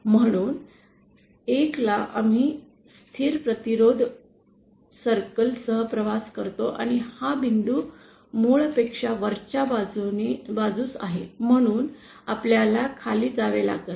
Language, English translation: Marathi, So, at 1st we travel along a constant resistance circle and this point is upwards than the origin, so we have to go downward